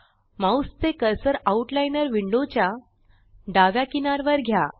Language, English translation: Marathi, Move the mouse cursor to the left edge of the Outliner window